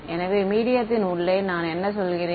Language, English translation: Tamil, So, what do I mean by inside the medium